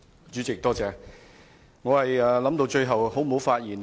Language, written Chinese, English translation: Cantonese, 主席，我一直考慮是否要發言。, President I have been considering whether I should speak